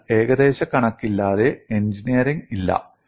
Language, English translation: Malayalam, So, without approximations, there is no engineering